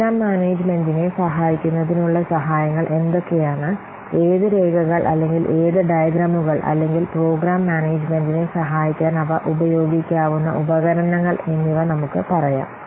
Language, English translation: Malayalam, Then let's say what are the ATS to Program Management, what documents or what diagrams or what tools they can be used to add program management